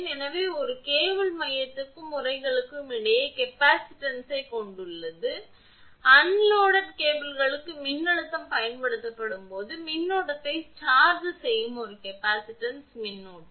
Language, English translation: Tamil, So, a cable has capacitance between the core and the sheath that we have seen when a voltage is applied to an unloaded cable, a capacitive current that is charging current flows